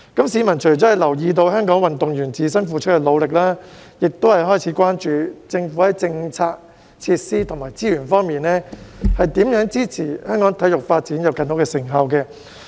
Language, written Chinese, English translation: Cantonese, 市民除了留意到香港運動員自身付出的努力，亦開始關注政府在政策、設施及資源方面，如何支持香港體育發展，以取得更多成效。, Apart from noticing the efforts made by Hong Kong athletes themselves the public has also started to pay attention to how the Government can support the development of sports in Hong Kong in terms of policies facilities and resources so that more achievements can be made